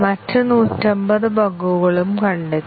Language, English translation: Malayalam, 150 other bugs were also detected